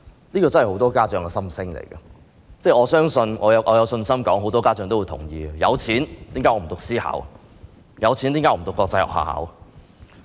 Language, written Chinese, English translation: Cantonese, 這真的是很多家長的心聲，我相信很多家長也會同意，有錢寧願讀私校，有錢寧願讀國際學校。, I believe many parents also agree that they would rather send their children to private schools or international schools if they have the financial means